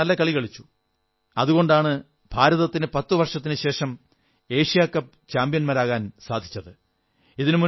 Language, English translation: Malayalam, Our players performed magnificently and on the basis of their sterling efforts, India has become the Asia Cup champion after an interval of ten years